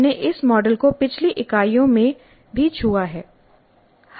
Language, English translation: Hindi, We have touched upon this model in the earlier units also